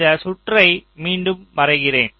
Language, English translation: Tamil, so here let me just redraw this circuit again